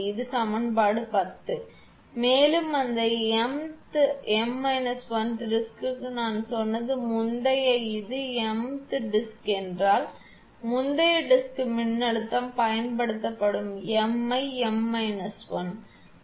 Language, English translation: Tamil, And for that m th m minus 1 th disk I mean just the previous one if this is the m th disk then previous disk that applied voltage replace m by m minus 1